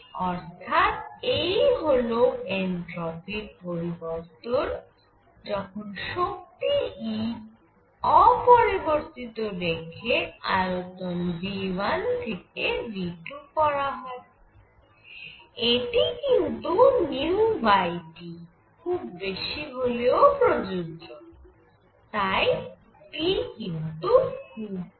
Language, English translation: Bengali, So, this is the change in the entropy of radiation when E is kept constant and volume is changed from V 1 to V 2 and this is also under the condition that nu over T is large